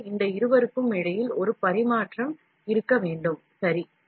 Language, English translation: Tamil, So, there has to be a tradeoff between these two, ok